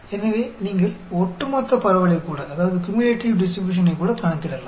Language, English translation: Tamil, So, you can calculate the cumulative distribution also